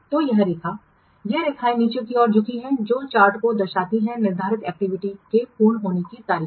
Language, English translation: Hindi, The timeline and the lines mending down the chart is represent the scheduled activity completion dates